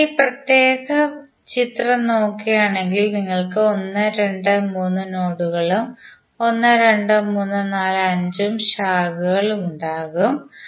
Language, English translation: Malayalam, So in this particular figure if you see you will have 1, 2, 3 nodes and 1,2,3,4 and 5 branches